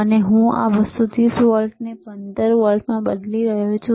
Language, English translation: Gujarati, And I am converting this 230 volts to 15 volts or 15 16 volts